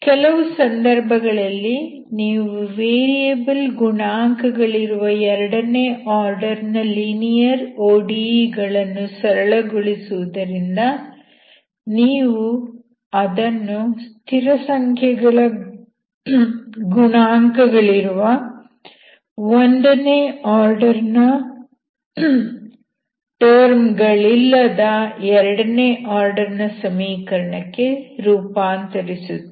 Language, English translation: Kannada, In some cases it was because you are reducing the second order linear ODE with variable coefficients, you are converting it to equation with constant coefficients of second order but without having first order terms